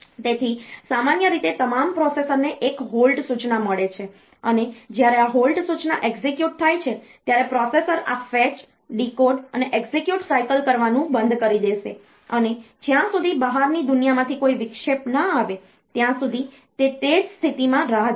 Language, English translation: Gujarati, So, normally all the processors they have got 1 halt instruction when this halt instruction is executed then the processor will stop doing these fetch decode execute cycles anymore and it will wait in that state until and unless an interrupt comes from the outside world